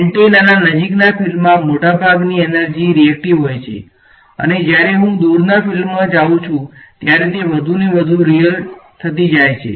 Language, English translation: Gujarati, In the near field of an antenna most of the energy is reactive, as I go into the far field we will find that it becomes more and more real ok